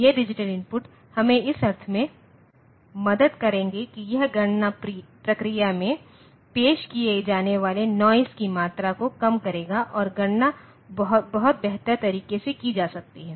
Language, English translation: Hindi, These digital inputs will help us in the sense that it will reduce the amount of noise that gets introduced in the calculation process and computation can be done in a much better fashion